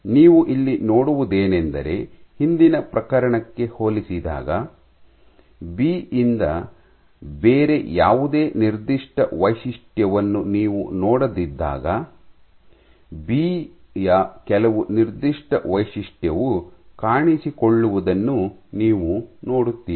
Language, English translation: Kannada, So, what you see here, compared to the previous case, when you did not see any other signature from B you see some signature of B appearing